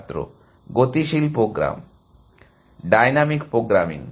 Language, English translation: Bengali, dynamic program Dynamic programming